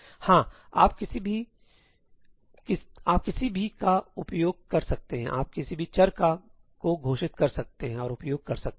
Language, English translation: Hindi, Yeah, you can use any, you can just declare any variables and use